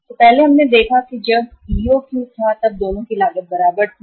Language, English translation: Hindi, So earlier we saw that EOQ was when both the costs were equal